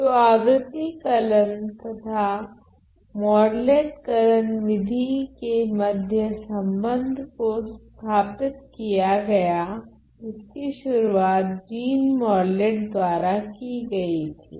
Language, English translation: Hindi, So, established connection between harmonic analysis and the Morlet algorithm, that was introduced by Jean Morlet earlier